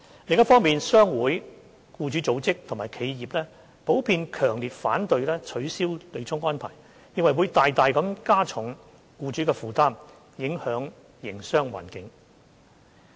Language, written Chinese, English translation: Cantonese, 另一方面，商會、僱主組織及企業普遍強烈反對取消對沖安排，認為會大大加重僱主的負擔，影響營商環境。, On the other hand trade associations employers groups and enterprises in general are strongly opposed to abolishing the offsetting arrangement holding that this will greatly add to employers burdens and affect the business environment